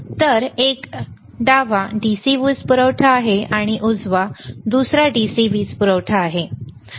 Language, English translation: Marathi, This one is DC power supply, this is another DC power supply